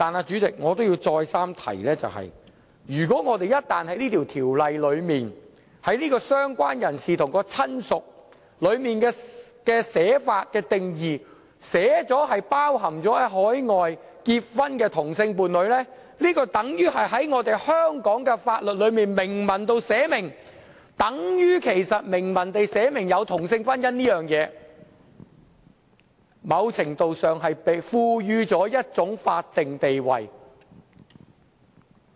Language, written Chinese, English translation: Cantonese, 主席，我要再三提醒，如果在這項條例草案中，訂明"相關人士"和"親屬"的定義涵蓋海外結婚的同性伴侶，那便等於在香港法例中明文訂明有同性婚姻這回事，在某程度上，是賦予同性婚姻一種法定地位。, Chairman I have to remind Members again that if same - sex partners in a marriage celebrated overseas are included in the definitions of related person and relative under the Bill it means that the existence of same - sex marriage is stipulated explicitly in the laws of Hong Kong so the change is in certain measure granting same - sex marriage some sort of a statutory status